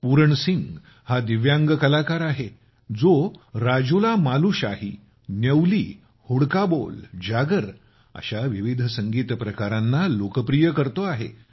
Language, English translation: Marathi, Pooran Singh is a Divyang Artist, who is popularizing various Music Forms such as RajulaMalushahi, Nyuli, Hudka Bol, Jagar